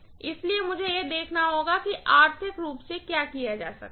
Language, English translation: Hindi, So, I have to see what is done most economically, got it